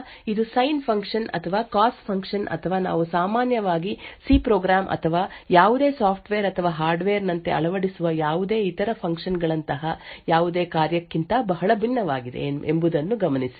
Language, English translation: Kannada, So, note that this is very different from any other function like the sine function or cos function or any other functions that we typically implement as a C program or any software or hardware